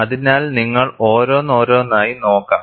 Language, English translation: Malayalam, So, we will see one by one